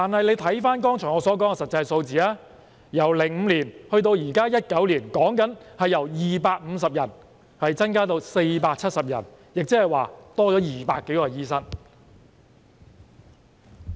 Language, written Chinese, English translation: Cantonese, 可是，翻看我剛才提到的實際數字，由2005年至2019年，其實只是由250人增加至470人，共增加了200多名醫生。, But if we look at the actual numbers that I have just cited we will see that from 2005 to 2019 actually the number only increased from 250 to 470 meaning that there was an increase of some 200 doctors . Given that the base number is small the increase is therefore said to be 90 %